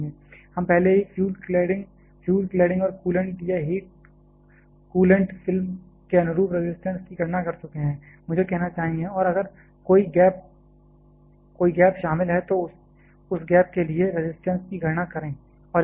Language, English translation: Hindi, We have already calculated the resistance corresponding to the fuel, the cladding and the coolant or heat, coolant film I should say and if there is a gap is involved then also called calculate the resistance for that gap and add to this